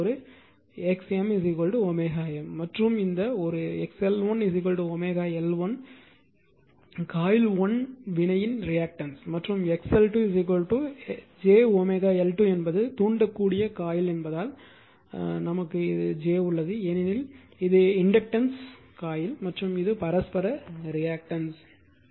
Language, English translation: Tamil, And here this one is equal to your x l 2 is equal to omega L 2 and this one your x l 1 is equal to omega reactance of coil 1 reactance of coil 2 and j is the because it inductive coil and this is j is there because it is inductive coil and this is your mutualreactance right